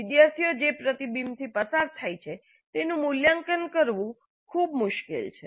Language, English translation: Gujarati, So it is very difficult to evaluate the reflection that the students go through